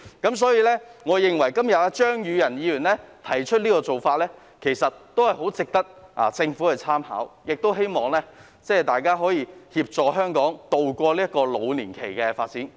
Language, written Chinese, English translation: Cantonese, 因此，我認為張宇人議員今天提出的議案相當值得政府參考，亦希望大家可以協助香港渡過老年期的發展。, Hence I think the motion proposed by Mr Tommy CHEUNG today warrants the Governments consideration and I hope Members can help Hong Kong cope with the development of the ageing population